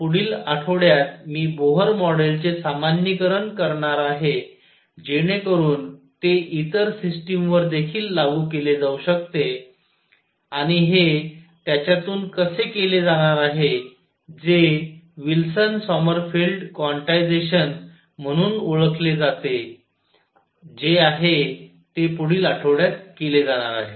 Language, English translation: Marathi, Next week I am going to generalize Bohr model to, so that it can be applied to other systems also and this is going to be done through what is known as Wilson Sommerfeld quantization that is going to be done next week